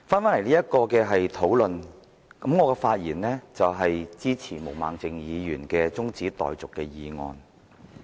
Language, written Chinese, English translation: Cantonese, 回到此項討論，我的發言是支持毛孟靜議員的中止待續議案。, Let me return to the motion debate now . I speak in support of Ms Claudia MOs adjournment motion